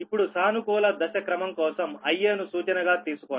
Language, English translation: Telugu, right now, for positive phase sequence, take i a as a reference